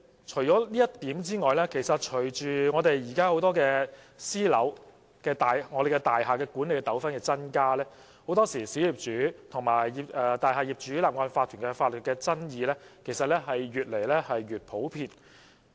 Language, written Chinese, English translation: Cantonese, 除以上之外，其實現時私樓、大廈管理的糾紛增加，很多時候，小業主和大廈業主立案法團的法律爭議其實越來越普遍。, Moreover disputes concerning private domestic properties and building management are on the rise . Legal disputes between individual owners and the incorporated owners of a multistorey building have also become increasingly common